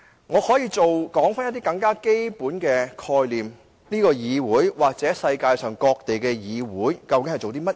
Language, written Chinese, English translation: Cantonese, 我可以指出一些更基本的概念，說明這個議會或世界各地的議會究竟在做甚麼。, I can point out most fundamental concepts to explain what this Council or parliaments all over the world are doing exactly